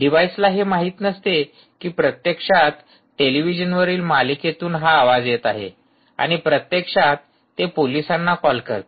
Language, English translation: Marathi, ah, if it is really it doesn't know that is actually coming from a television part of a television serial and actually it calls the police, ah